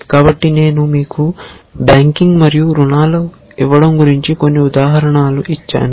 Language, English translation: Telugu, So, I gave you a couple of examples about banking and giving loans and so on and so forth